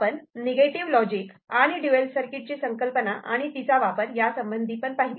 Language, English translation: Marathi, We also looked at the concept of negative logic and dual circuit and found its use